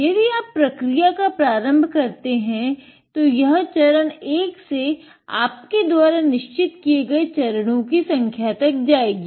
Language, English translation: Hindi, If you start this process, it will go through step one to and how many steps you have made